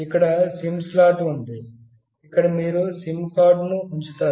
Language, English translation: Telugu, Here is the SIM slot, where you will put the SIM card